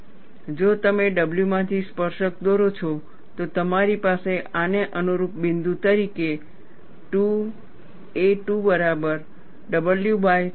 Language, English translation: Gujarati, And if you draw a tangent from w, you have this as the corresponding point as 2 a 2 equal to w by 3